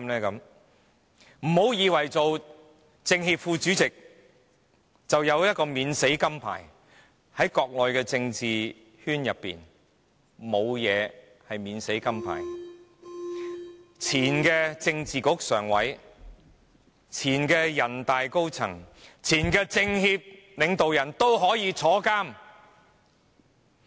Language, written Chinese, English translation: Cantonese, 不要以為擔任政協副主席便有免死金牌，在國內的政治圈是沒有免死金牌的，前政治局常委、前人大常委會高層和前政協領導人都可以入獄。, Do not think that a Vice - chairman of NCCPPCC enjoys full immunity . There is no full immunity in the political circle in the Mainland . Former members of the Standing Committee of the Political Bureau former senior members of NPCSC and former leaders of NCCPPCC could all be imprisoned